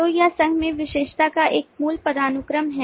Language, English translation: Hindi, so this is a basic hierarchy of specialization in association itself